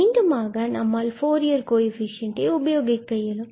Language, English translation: Tamil, And these are exactly the Fourier coefficients of the function f